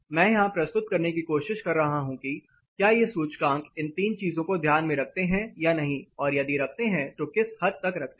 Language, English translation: Hindi, What I am trying to present here, whether these indices take into account these three things or not and to what extent